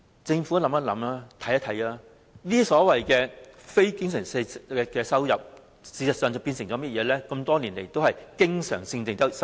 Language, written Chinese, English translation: Cantonese, 政府可曾研究一下，這些非經常性收入，事實上在過去多年來已變成經常性收入？, However has the Government conducted any study and realized that such non - recurrent revenues have actually become recurrent revenues over the years?